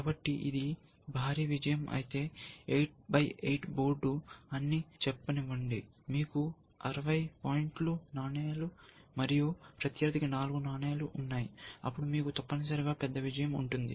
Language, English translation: Telugu, So, let say eight by eight board, you have sixty point coins, and opponent is four coins, then you have a big win essentially